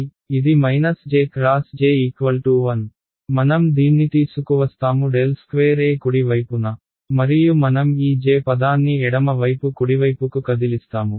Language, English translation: Telugu, So, this minus j into j this becomes 1, I bring this del squared E on the right hand side and I move this J term on the left hand side right